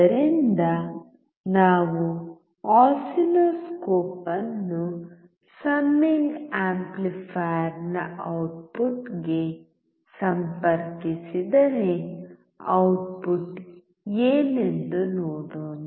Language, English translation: Kannada, So, if we connect the oscilloscope to the output of the summing amplifier let us see what the output is